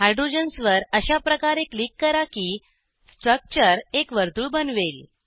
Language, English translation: Marathi, Click on the hydrogens in such a way that the structure forms a circle